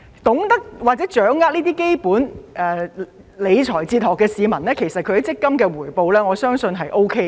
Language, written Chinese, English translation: Cantonese, 懂得或者掌握這些基本理財哲學的市民，我相信其強積金回報是 OK 的。, I believe that those who understand or master these basic financial philosophies can earn okay MPF returns